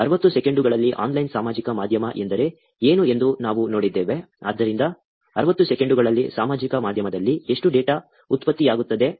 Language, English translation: Kannada, We also saw what online social media means in 60 seconds; so, how much of data is getting generated on social media in 60 seconds